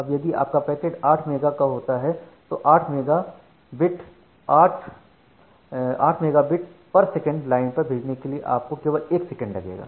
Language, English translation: Hindi, Now if you are the 8 megabit bit of packet then to transfer that 8 megabit data over 8 megabit per second line you require exactly 1 second